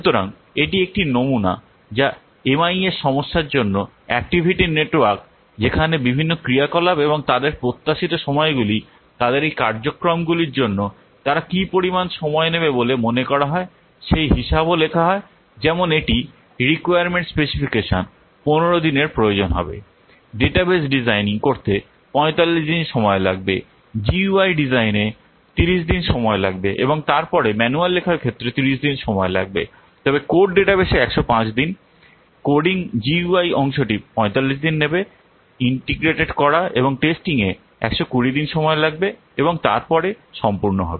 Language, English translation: Bengali, So, this is a sample of what activity network for a MIS problem where the various activities and their expected times they will take to what for their, these activities activities how much time they are expected to take that is also written like requirement specifications will take 15 days designing database will take 45 days designing GII will take 30 days and then writing manual will take 30 days then what code database will take 105 days coding GIAPD will 45 days, integrate and testing will take 120 days and then complete